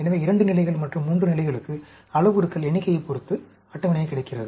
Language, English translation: Tamil, So, 2 levels, 3 levels, there are table available, depending upon the number of parameters